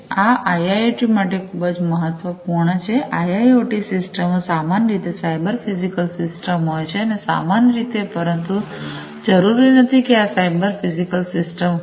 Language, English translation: Gujarati, This is very important for IIoT, IIoT systems are typically, cyber physical systems, typically, but not necessarily you know these are cyber physical systems